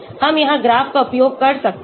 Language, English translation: Hindi, We can use the graph here